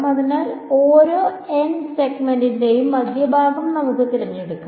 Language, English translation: Malayalam, So, let us choose the centre of each of these n segments